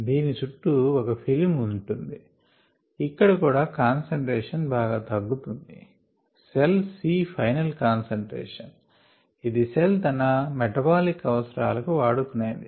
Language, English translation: Telugu, therefore there is ah film around it, there will be ah significant drop in the concentration and the cell c is the final concentration which it takes up for it's metabolic means